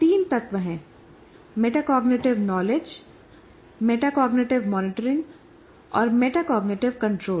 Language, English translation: Hindi, The three elements are metacognitive knowledge, metacognitive monitoring and metacognitive control